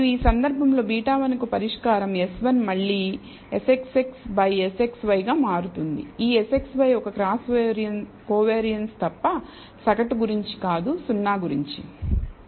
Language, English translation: Telugu, And in which case the solution for beta one will turn out to be again S x y by S x x except that this S x y is a cross covariance not about the mean, but about 0